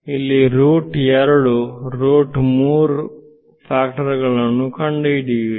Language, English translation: Kannada, So, here you will find factors of root 2, root 3 etc